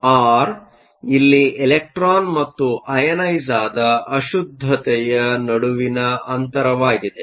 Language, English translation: Kannada, So, r here is the distance between the electron and the ionize impurity